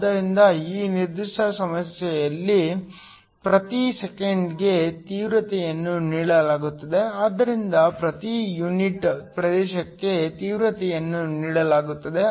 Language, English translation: Kannada, So, In this particular problem, the intensity is given per second, so intensity is given per unit area